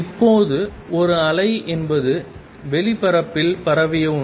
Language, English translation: Tamil, Now, a wave is something that is spread over space